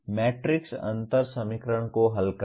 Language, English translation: Hindi, Solving matrix differential equation